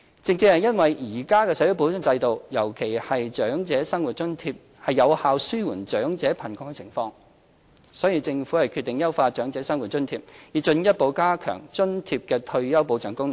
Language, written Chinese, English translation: Cantonese, 正正因為現行的社會保障制度，尤其是長者生活津貼，有效紓緩長者貧窮的情況，所以政府決定優化長者生活津貼，以進一步加強津貼的退休保障功能。, Exactly because of the existing social security systems effectiveness in alleviating elderly poverty especially OALA payments the Government decides to enhance OALA measures to further strengthen its function on retirement protection